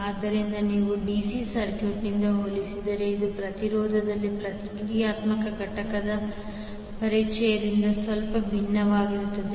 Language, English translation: Kannada, So, if you compare from the DC circuit this is slightly different because of the introduction of reactive component in the impedance